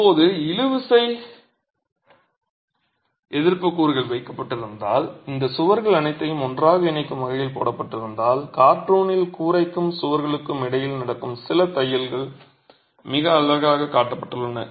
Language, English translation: Tamil, Now if tensile resisting elements were put in place, if ties were put in place to hold all these walls together and in the cartoon it is very nicely shown as some stitching that is happening between the roof and the walls and some stitching that is happening between the walls